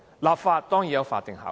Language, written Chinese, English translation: Cantonese, 立法當然是有法定效力的。, And the legislation enacted of course carry legislative effect